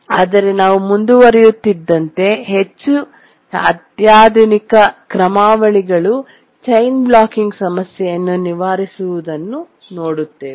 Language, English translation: Kannada, But we'll see that more sophisticated algorithms overcome the chain blocking problem